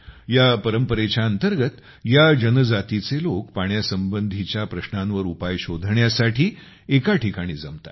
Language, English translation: Marathi, Under this tradition, the people of this tribe gather at one place to find a solution to the problems related to water